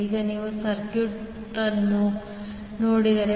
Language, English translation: Kannada, Now, if you see the circuit